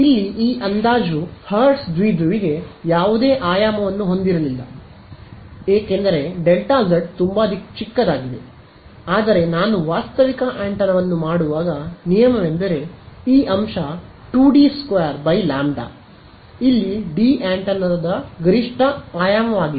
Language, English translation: Kannada, This approximation here the hertz dipole itself had no dimension because delta z was very small, but when I make a realistic antenna a rule of thumb is this factor 2 D squared by lambda where D is the max dimension of the antenna